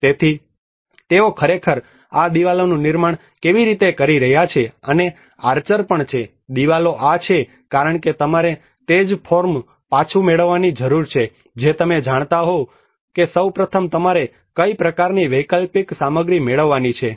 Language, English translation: Gujarati, So how they are actually rebuilding these walls and also the archer, walls these are because you need to regain the same form you know what kind of alternative materials one has to procure first of all